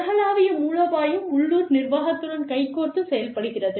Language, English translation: Tamil, Global strategy works, hand in hand, with the local management